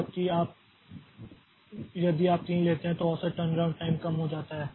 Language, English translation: Hindi, 5 whereas taking it to 3 the average turnaround time so that reduces